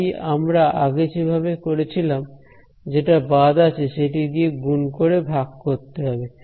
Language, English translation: Bengali, So, like we did previously, our trick will be to multiply divide by missing one